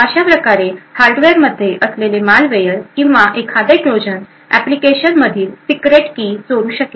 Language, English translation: Marathi, In a similar way a malware or a Trojan present in the hardware could steal the secret key in the application